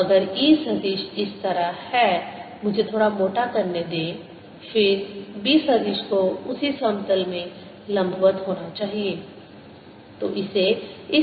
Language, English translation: Hindi, so if e vector is like this let me make a little thick then b vector has to be perpendicular to this in the same plane